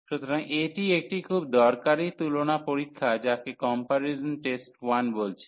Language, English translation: Bengali, So, this is a very useful test comparison test it is called comparison test 1